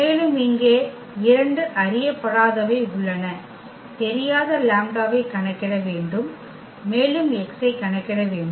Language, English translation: Tamil, And, there are two unknowns here, the unknowns are the lambda we need to compute lambda and also we need to compute x